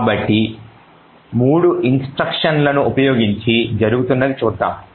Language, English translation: Telugu, So, let us see this happening using 3 instructions